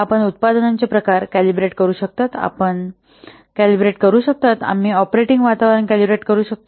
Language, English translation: Marathi, You can calibrate the product types, you can calibrate the operating environments